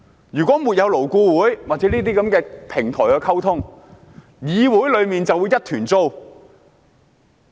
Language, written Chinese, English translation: Cantonese, 如果沒有勞工顧問委員會或這類溝通平台，議會便會一團糟。, In the absence of the Labour Advisory Board LAB or a similar platform the legislature will be turned into a mess